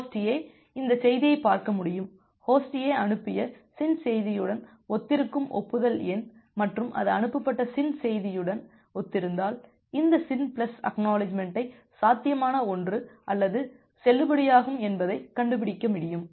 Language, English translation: Tamil, Host A can see this message host a can find out that the acknowledgment number it corresponds to the SYN message that it has transmitted and if it corresponds to the SYN message that is transmitted it takes this SYN plus ACK as a feasible one or a valid one